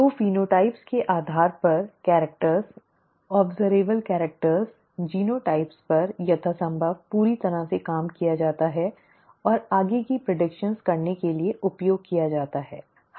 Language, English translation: Hindi, So based on the phenotypes the characters the observable characters, the genotypes are worked out as completely as possible and used to make further predictions, okay